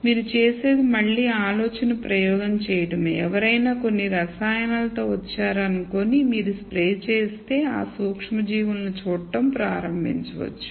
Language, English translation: Telugu, So, what you do is just again to do the thought experiment let us say someone came up with some chemical which if you simply spray on you can start seeing these microorganisms